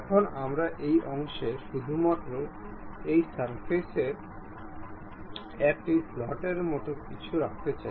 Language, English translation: Bengali, Now, we would like to have something like a slot on this portion, on this surface only